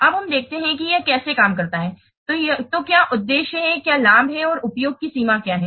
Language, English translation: Hindi, So, what are the purpose, what are the benefits and what is the extent of use